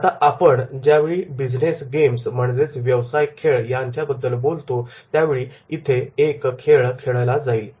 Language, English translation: Marathi, Now here we when we talk about the business game a game will be played